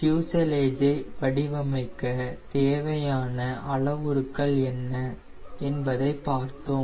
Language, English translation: Tamil, we saw what were the parameters in order to design your fuse large